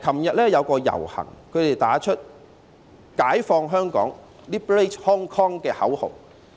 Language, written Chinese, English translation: Cantonese, 昨天有遊行人士打着"解放香港"的口號。, Yesterday some participants of the march held aloft the slogan of Liberate Hong Kong